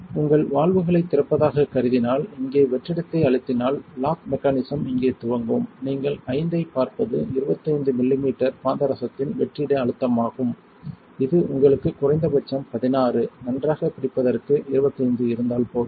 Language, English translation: Tamil, Assuming you open your valves earlier pressing vacuum here will initiates the lock mechanism here, you see the V equal to 25 that is the vacuum pressure in millimetres of mercury you want at least 16 for good hold you have 25 which is more than enough